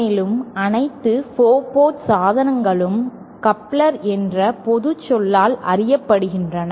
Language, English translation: Tamil, And all 4 port devices are known by the general term couplers